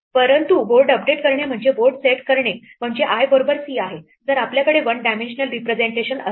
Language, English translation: Marathi, So, we will come back in a minute, but in our case updating our board just means setting board i equal to c if we have the one dimensional representation